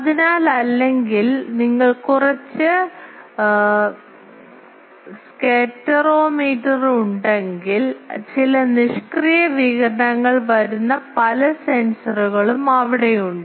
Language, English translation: Malayalam, So, or you have some scatterometer, some sensors are there who senses various whatever passive radiation coming